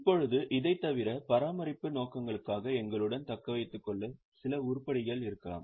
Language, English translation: Tamil, Now, apart from this, there could be some items which are retained for maintenance purposes